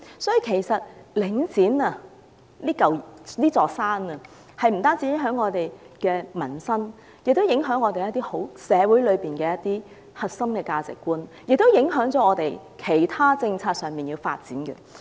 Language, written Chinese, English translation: Cantonese, 因此，領展這座山其實不單影響香港的民生，亦會影響社會的核心價值，並且影響到其他政策的發展。, Therefore Link REIT being one of the mountains affects not only peoples livelihood in Hong Kong but also the core values of society and the development of other policies